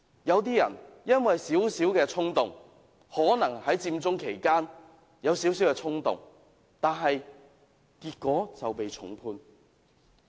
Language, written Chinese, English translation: Cantonese, 有些人因為少許衝動——可能在佔中期間有少許衝動——結果就被重判。, Some people might have been slightly impulsive―during the Occupy Central action―and they are given severe sentences